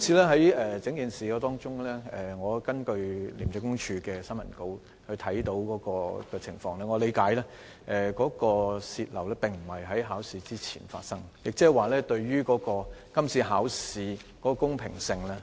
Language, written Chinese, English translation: Cantonese, 在今次的事件中，我從廉政公署的新聞稿理解到，試題外泄並非在考試之前發生，即是說並不影響今次考試的公平性。, In this incident I have learned from ICACs press release that the leak did not happen before the examination meaning that it did not affect the fairness of the examination